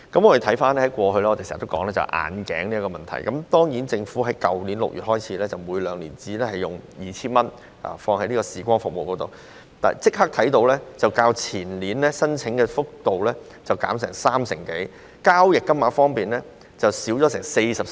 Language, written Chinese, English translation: Cantonese, 我們過去經常討論眼鏡的問題，而自政府在去年6月規定，每名合資格長者可使用醫療券支付視光服務的配額為每兩年 2,000 元後，申請數目較前年減少三成多，交易金額亦減少了 43%。, In the past we often discussed the issue of glasses . After the Government provided in June last year that the voucher amount that could be spent by each eligible elder on optometry service was capped at 2,000 every two years the number of applications has decreased by more than 30 % and the amount of transaction has also dropped by 43 % when compared with the preceding year